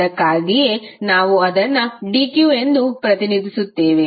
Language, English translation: Kannada, That is why we are representing as dq